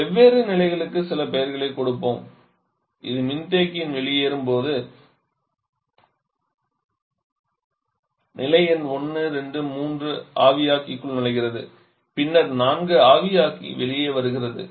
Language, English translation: Tamil, Let us give some name to the states let us say this is a state number 1, 2 at the exit of condenser, 3 entering the evaporator then 4 coming out of the evaporator